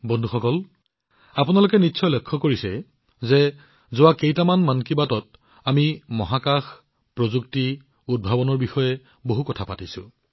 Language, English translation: Assamese, Friends, you must have noticed that in the last few episodes of 'Mann Ki Baat', we discussed a lot on Space, Tech, Innovation